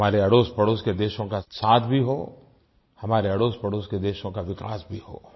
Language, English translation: Hindi, May our neighbouring countries be with us in our journey, may they develop equally